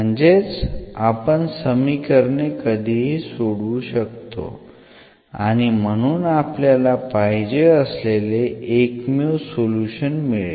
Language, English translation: Marathi, That means, that we can always solve this equation, these are solvable equation and will get the unique solution indeed